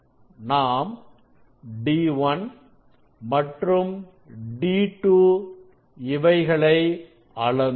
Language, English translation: Tamil, actually we have measured d 1 and d 2